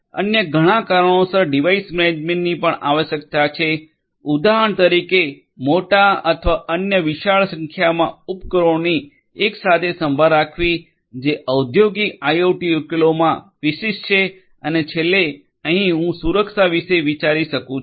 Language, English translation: Gujarati, Device management is also required for several other reasons for example, taking care of large or other huge; huge number of devices together which is typical of industrial IoT solutions and also last, but not the least over here that I can think of is this security